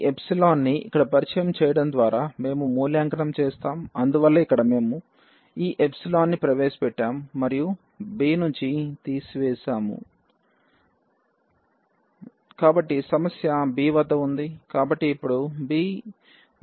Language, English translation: Telugu, We will evaluate by taking by introducing this epsilon here and so, here we have introduced this epsilon and subtracted from the b